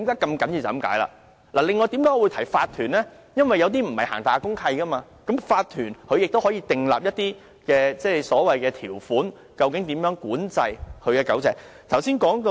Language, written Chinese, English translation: Cantonese, 至於我提及法團，是因為有些大廈並沒有公契，而法團可以訂立一些條款，以規管住戶飼養狗隻的事宜。, I mention OCs because some buildings are not governed by DMCs . In such cases provisions can be made by OCs to regulate the keeping of dogs in the premises